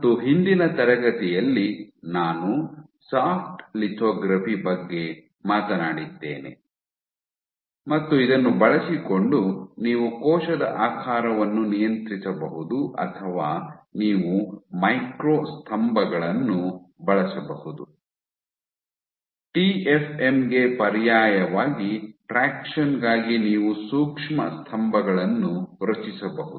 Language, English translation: Kannada, And the last class spoke about Soft lithography and using this you can regulate cell shape or you can use micro pillars, you can fabricate micro pillars for traction as an alternative to TFM